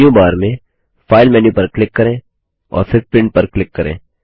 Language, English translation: Hindi, Click on the File menu in the menu bar and then click on Print